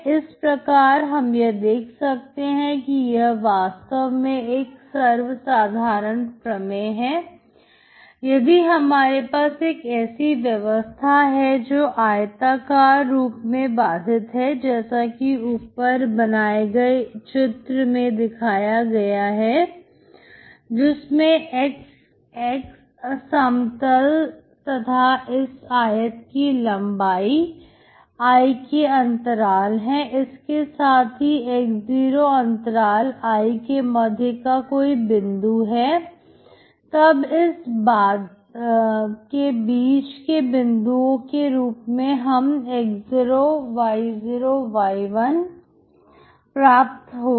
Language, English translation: Hindi, So this is actually more of general theorem, so if you have a system that is bounded in a rectangle as shown in the above figure which is ( x , X ) plane and the length of the rectangle be the interval I with x0 being in the middle of the interval I, so in the middle point of this bounded rectangle you will have (x0,[y0 y1 ])